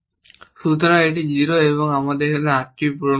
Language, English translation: Bengali, So this is 0, now, we need to fill in this is 8